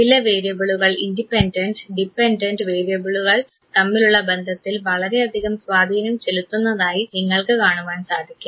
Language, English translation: Malayalam, These are those variables which affects the relationship between the independent and the dependent variable